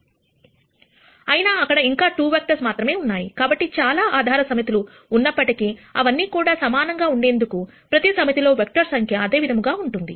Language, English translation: Telugu, So, while you could have many sets of basis vectors, all of them being equivalent, the number of vectors in each set will be the same